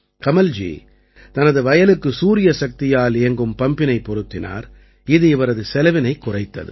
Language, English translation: Tamil, Kamal ji installed a solar pump in the field, due to which his expenses have come down